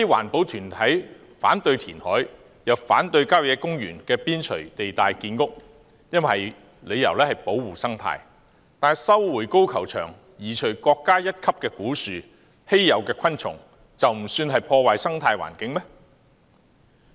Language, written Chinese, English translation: Cantonese, 一些環保團體反對填海，又反對在郊野公園邊陲地帶建屋，理由是要保護生態，但收回高爾夫球場，移除國家一級古樹，影響稀有昆蟲的棲息地，便不算是破壞生態環境嗎？, Some environmental protection groups are against reclamation and construction of housing on the periphery of country parks on the grounds of ecological proection . The resumption of the golf course however will cause the removal of national first - class old trees and an impact on the habitats of rare insects